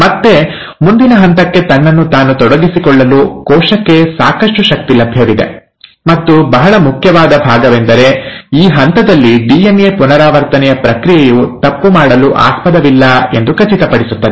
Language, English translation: Kannada, Again, there is sufficient energy available with the cell to commit itself to the next step, and a very important part is that it will make sure at this stage that the process of DNA replication has been foolproof